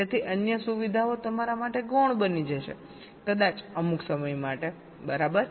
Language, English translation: Gujarati, so so the other features will become secondary for you may be, for sometime at least